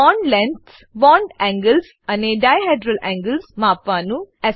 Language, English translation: Gujarati, * Measure bond lengths, bond angles and dihedral angles